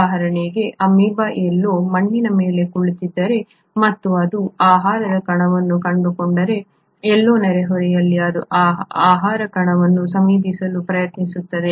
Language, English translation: Kannada, For example if there is an amoeba sitting somewhere on the soil and it finds a food particle, somewhere in the neighbourhood, it will try to approach that food particle